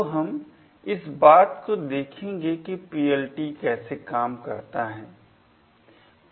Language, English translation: Hindi, So, we will be looking at a demonstration of how PLT works